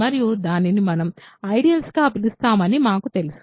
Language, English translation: Telugu, So, and we know that it is what we call in ideal